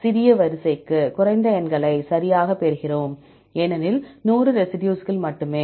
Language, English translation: Tamil, For the small sequence, we get the less numbers right because only 100 residues